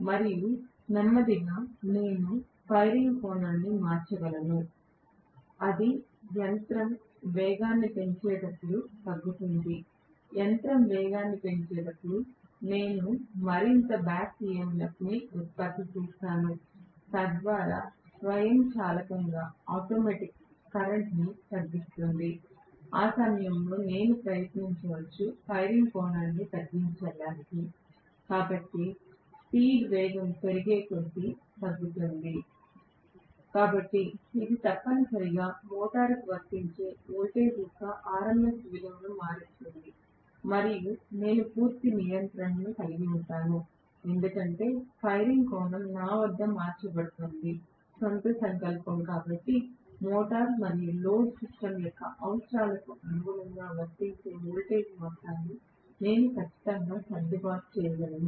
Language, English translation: Telugu, And slowly I can vary the firing angle such that it decreases as the machine picks up speed, as the machine picks up speed, I will have more back EMF generated, so that will automatically bring down the current, at that point I can try to reduce the firing angle, so alpha is decreased as speed picks up right, so this will essentially vary the RMS value of voltage that is being applied to the motor and I can have a complete control because I am looking at the firing angle being changed at my own will, so I should be able to definitely adjust the amount of voltage that is being applied as per the requirement of the motor and the load system right